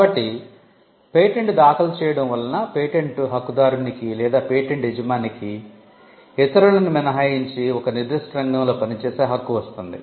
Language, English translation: Telugu, So, filing a patent gives the patentee or the patent owner, the right to work in a particular sphere to the exclusion of others